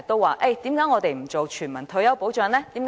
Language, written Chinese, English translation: Cantonese, 為何不落實全民退休保障呢？, Why is universal retirement protection not implemented?